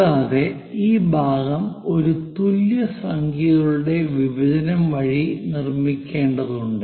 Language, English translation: Malayalam, And this part one has to construct by division of equal number of things